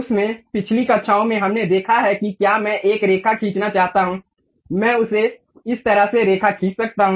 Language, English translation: Hindi, In that, in the last classes, we have seen if I want to draw a line, I can draw it in that way